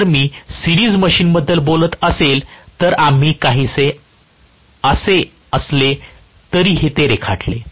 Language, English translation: Marathi, If I am talking about a series machine, we drew it as though it is somewhat like this